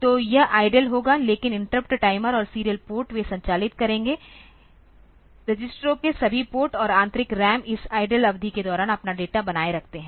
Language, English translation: Hindi, So, it will be idle, but the interrupt timer and serial port they will operate; all of registers ports and internal RAM maintain their data during this idle period